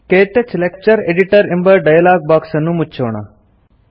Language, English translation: Kannada, Let us close the KTouch Lecture Editor dialogue box